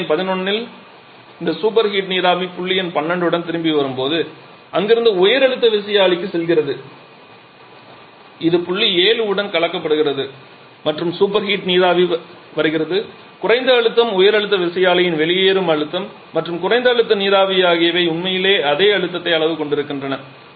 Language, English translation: Tamil, And then finally we have the super heating from 10 to 11 this superheated vapour at point number 11 is going to the high pressure turbine from there once it is coming back with point number 12 it is mixed with point 7 and the superheated steam coming from the coming the low pressure the exit pressure of the high pressure turbine and the low pressure steam they are having the same pressure levels actually